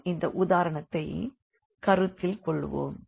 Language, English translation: Tamil, So, let us consider this example